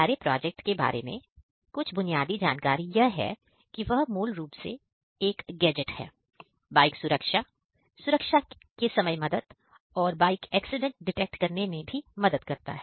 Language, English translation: Hindi, Now some basic information about our project is, this is basically a gadget which help in bike safety, security and also help to detect the bike accident